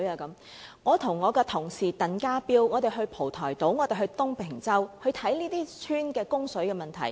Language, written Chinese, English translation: Cantonese, 但我和我的同事鄧家彪議員到過蒲台島和東坪洲觀察這些鄉村的供水問題。, But my colleague Mr TANG Ka - piu and I once visited Po Toi Island and Tung Ping Chau to inspect the water supply issue there